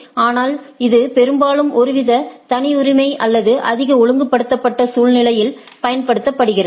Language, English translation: Tamil, But, that is mostly used in some sort of a proprietary or more regulated scenario